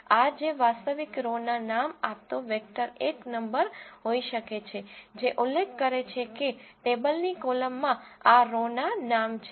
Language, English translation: Gujarati, This can be a vector giving the actual row names or a single number specifying which column of the table contains this row names